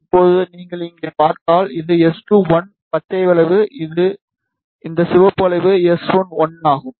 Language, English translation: Tamil, Now, if you see here, this is S2, 1 green curve, and this red curve is S1, 1